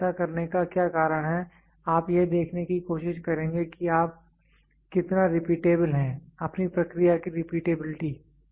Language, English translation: Hindi, So, what is the reason of doing this is you will try to see how repeatable is your; repeatability of your process